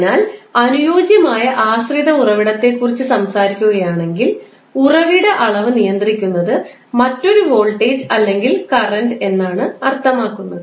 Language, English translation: Malayalam, So, ideal dependent source if you are talking about it means that the source quantity is controlled by another voltage or current